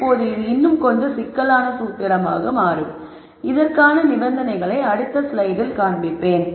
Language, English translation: Tamil, Now this becomes a little more complicated formulation and I am going to show you the conditions for this in the next slide